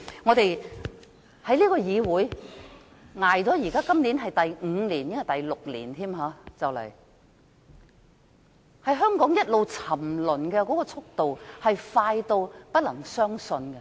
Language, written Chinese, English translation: Cantonese, 我在這個議會內已度過近6年，香港一直沉淪，速度快得不能置信。, I have passed almost six years in this Council . Hong Kong has been going down fast at an incredible speed